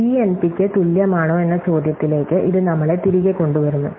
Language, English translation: Malayalam, So, this brings us back to the question of whether or not P is equal to NP